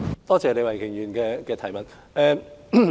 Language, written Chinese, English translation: Cantonese, 多謝李慧琼議員的補充質詢。, I thank Ms Starry LEE for her supplementary question